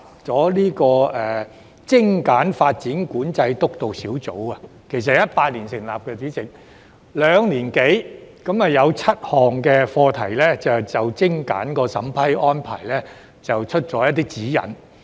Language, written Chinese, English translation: Cantonese, 主席，督導小組於2018年成立，兩年多以來只就7項精簡審批安排發出指引。, President the Steering Group was set up in 2018 and it has only issued guidelines on seven streamlined measures over the past two years or so